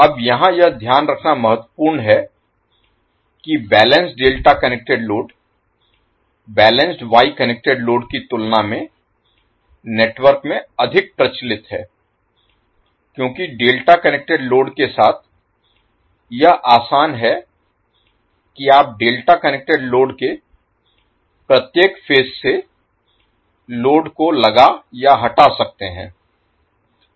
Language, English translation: Hindi, Now it is important to note here that the balanced delta connected load is more common in the network than the balanced Y connected load, because it is easy with the delta connected load that you can add or remove the load from each phase of the delta connected load